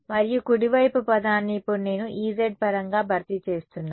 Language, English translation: Telugu, And the right hand side term I am now replacing it in terms of E z ok